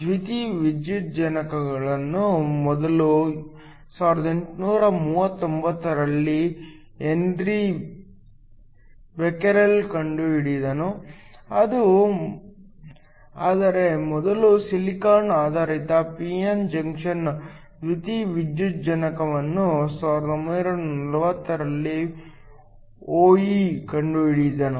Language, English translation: Kannada, Photovoltaic were first discovered by Henri Becquerel in 1839, but the first silicon based p n junction photovoltaic was invented by Ohl in 1940